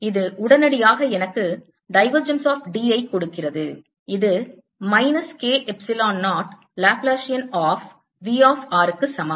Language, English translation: Tamil, this immediately gives me: divergence of d is equal to minus k epsilon zero laplace on v of r, and this is equal to q delta of r